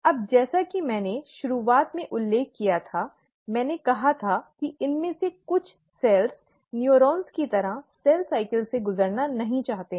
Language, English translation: Hindi, Now, as I mentioned in the beginning, I said some of these cells do not choose to undergo cell cycle like the neurons